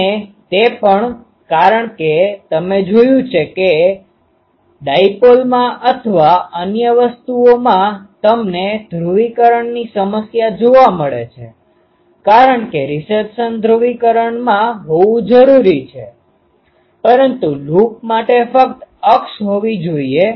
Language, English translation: Gujarati, And also its since it is ah you see that in a dipole or other things you have the polarization problem because the reception needs to be in that polarization, but for a loop only the axis